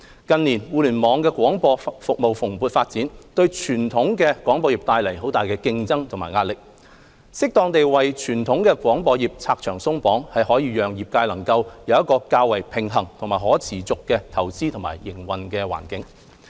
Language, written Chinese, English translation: Cantonese, 近年，互聯網廣播服務蓬勃發展，對傳統廣播業帶來很大的競爭及壓力，適當地為傳統廣播業"拆牆鬆綁"，可讓業界能夠有一個較為平衡和可持續的投資和營運環境。, In recent years the robust development of Internet - based broadcasting services has put the traditional broadcasting sector under intense competition and pressure . Removal and relaxation of restrictions in the traditional broadcasting sector as and where appropriate can enable the sector to make investments and operate under a relatively balanced and sustainable environment